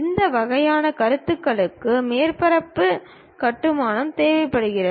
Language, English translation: Tamil, This kind of concepts requires surface construction